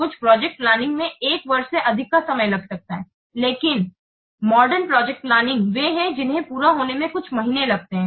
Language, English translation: Hindi, Some projects may take more than one year, but modern projects they typically take a few months to complete